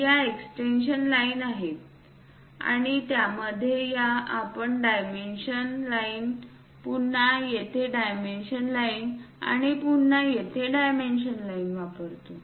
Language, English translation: Marathi, These are the extension lines and in that we use dimension line, again dimension line here and also here dimension line